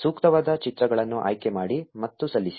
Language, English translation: Kannada, Select the appropriate images and submit